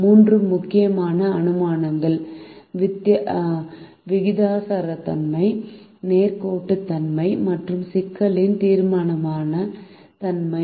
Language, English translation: Tamil, three important assumptions are proportionality, linearity and deterministic nature of the problem